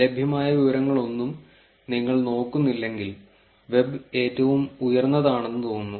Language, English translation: Malayalam, And if you look at no information that is available, the web seems to be the highest